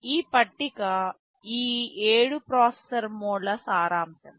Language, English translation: Telugu, This table summarizes these 7 processor modes